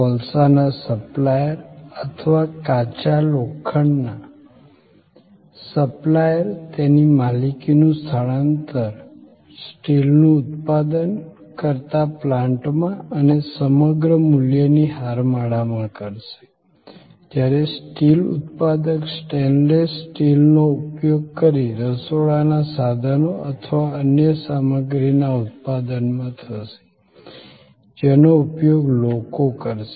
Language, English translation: Gujarati, The supplier of coal or supplier of iron ore would be transferring the ownership of those to the plant producing steel and across the value chain, when the steel producer produces flat role of stainless steel, they will be then used by people manufacturing, kitchen equipment or other stuff